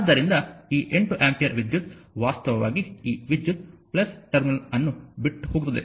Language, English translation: Kannada, So, this 8 ampere current actually this current actually come leaving the plus terminal right